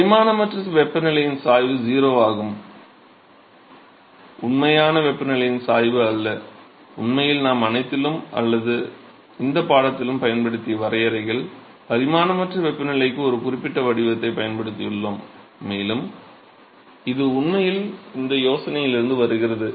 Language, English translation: Tamil, So, it is the gradient of the dimensionless temperature is 0, and not the gradient of the actual temperature and in fact, the definitions that we have used in all or to this course we have used a certain form for non dimensionalizing temperature, and that really comes from this idea